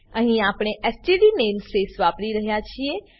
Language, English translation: Gujarati, Here we are using std namespace